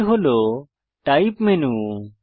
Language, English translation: Bengali, This is the Type menu